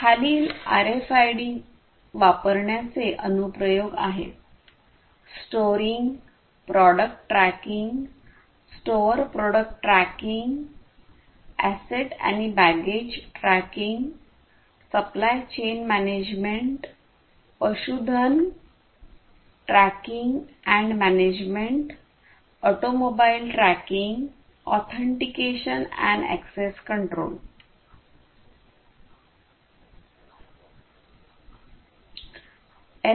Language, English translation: Marathi, Applications of use of RFIDs are for storing product tracking, store product tracking, sorry, store product tracking, asset and baggage tracking, supply chain management, livestock tracking and management, auto mobile tracking authentication and access control, and so on